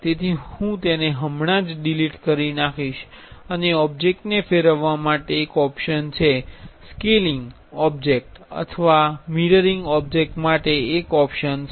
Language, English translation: Gujarati, So, for I will just delete it and there is a option for rotating the object, there is an option for scaling the object or mirroring object